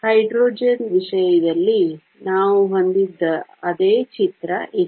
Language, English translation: Kannada, This is the same picture that we had in the case of hydrogen